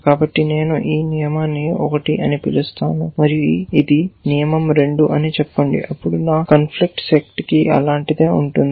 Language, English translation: Telugu, So, let us say I call this rule 1 and this is rule 2 then, my conflict set will have something like